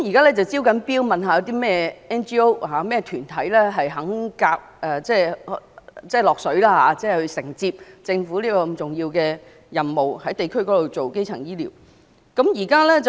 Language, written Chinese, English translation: Cantonese, 現正招標看看有甚麼 NGO 或團體願意承接政府這項重要的任務，在地區推行基層醫療服務。, Tendering work is in progress to see which NGO or organization is willing to undertake this important public mission of promoting district - based primary health care services